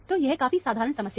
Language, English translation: Hindi, So, this is a fairly simple problem